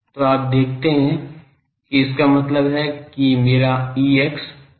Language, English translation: Hindi, So, you see that that means my Ex is 0